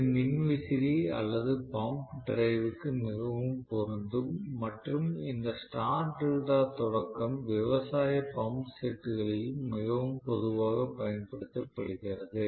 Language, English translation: Tamil, So, this is very much applicable to fan or pump drive and this torque delta starting is very commonly used in agricultural pump sets